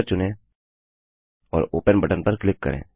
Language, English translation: Hindi, Choose a picture and click on the Open button